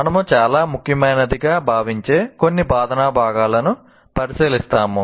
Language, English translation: Telugu, And here we look at some instructional components which we consider most important